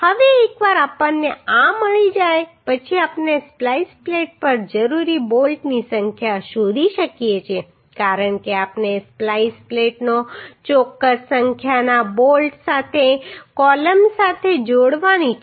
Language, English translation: Gujarati, Now once we get this now we can find out the uhh number of bolts required on the splice plate because we have to join the splice plate with with the column with certain number of bolts right